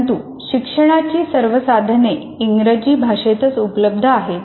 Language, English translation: Marathi, But all learning resources are available in English